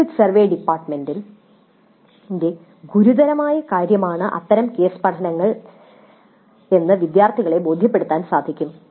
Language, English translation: Malayalam, Such case studies would also help convince the students that the exit survey is a serious business for the department